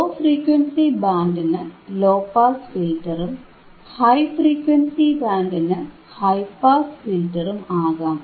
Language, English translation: Malayalam, Iit can be low pass filter than for low frequency band, high pass filter for high frequency band